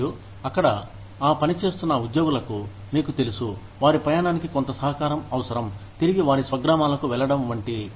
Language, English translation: Telugu, And, the employees, that are working there, would probably need things like, you know, some contribution towards their travel, back to their hometowns